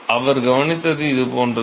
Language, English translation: Tamil, So, what he observed is something like this